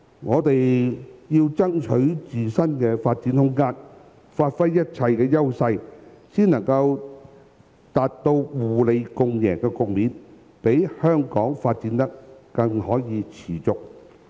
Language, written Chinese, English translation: Cantonese, 我們要爭取自身的發展空間，發揮一切的優勢，才能達到互利共贏的局面，讓香港可以持續發展。, We must strive for room for self - development and bring all our advantages into full play . Only in this way can we achieve a win - win situation and ensure the continuous development of Hong Kong